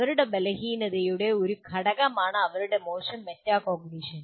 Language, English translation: Malayalam, So you can say poor metacognition is a big part of incompetence